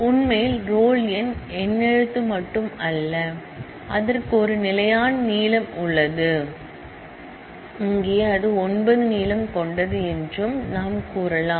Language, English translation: Tamil, In fact, we can also say that the roll number actually is not only alphanumeric, it has a fixed length, here is it has length of 9